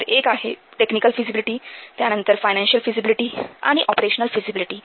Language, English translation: Marathi, So, one is this technical feasibility, then financial feasibility and operational feasibility